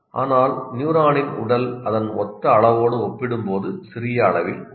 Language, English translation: Tamil, But the body of the neuron is extremely small in size and compared in comparison to its total size